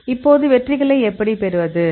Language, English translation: Tamil, So, now how to get the hits